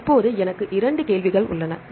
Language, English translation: Tamil, Now I have two questions